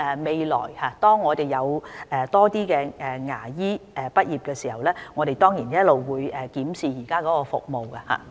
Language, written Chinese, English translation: Cantonese, 未來當我們有更多牙科畢業生的時候，我們當然會檢視現時的服務。, We will certainly review the existing services when there are more graduates in dentistry in future